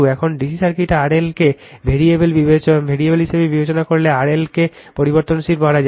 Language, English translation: Bengali, Now, if you as consider now R L to be variable right in DC circuit R L to be variable